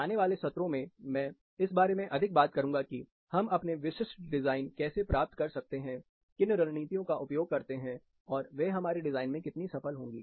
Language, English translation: Hindi, Following sessions, I would be talking more about, how we infer for our specific design, what strategies to use, and how successful they might be, in our own design